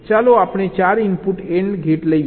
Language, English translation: Gujarati, lets say a four input and gate